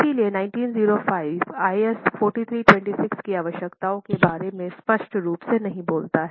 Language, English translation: Hindi, So, 1905 does not speak explicitly about the requirements of IS 4326